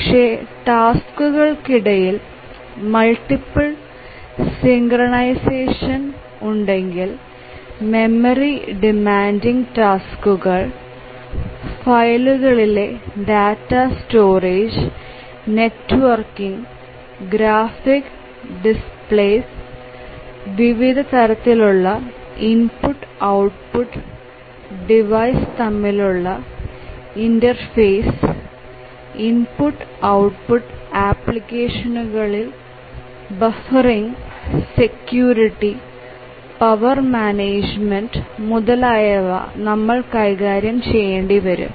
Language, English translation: Malayalam, But then if there are multiple tasks synchronization among the tasks you need to manage the memory, like memory demanding tasks, we need to store data in file, we need to network to other devices, we need graphics displays, we need to interface with a wide range of IO devices, we need to have buffering of the IO applications, security, power management, etcetera